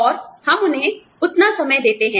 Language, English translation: Hindi, And, we give them, that much time